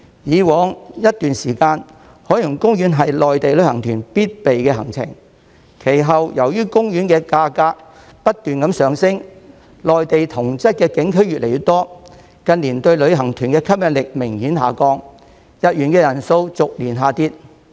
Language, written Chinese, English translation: Cantonese, 過往一段時間，海洋公園是內地旅行團必備行程，其後由於門票價格不斷上升，內地同質的景區越來越多，近年對旅行團的吸引力明顯下降，入園人數逐年下跌。, For some time in the past OP was a must - see destination for Mainland tour groups but then given the ever increasing ticket price and a growing number of similar attractions in the Mainland OPs appeal to tour groups has faded significantly in recent years and the attendance has been on the decline year - on - year